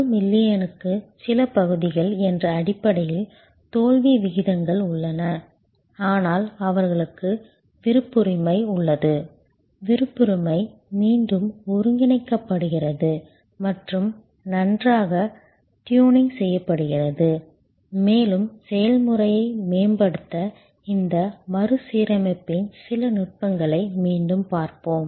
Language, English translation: Tamil, Failure rates in that in terms of few parts per million, but they do have discretion, the discretion is reassembling and fine tuning and we will see some techniques of this reassembly again to optimize the process